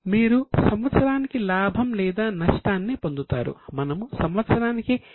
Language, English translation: Telugu, Now you get the profit or loss for the year